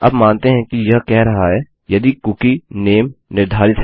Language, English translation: Hindi, Now presuming this says is the cookie set name